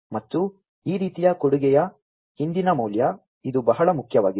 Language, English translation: Kannada, And the value behind this kind of offering, this is very important